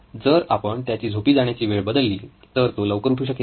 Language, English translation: Marathi, If we change the hour of sleep, he wakes up early